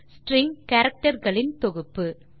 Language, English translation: Tamil, String is a collection of characters